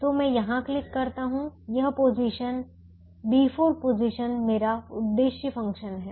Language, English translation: Hindi, so i just click here to say that this position, b four position, is my objective function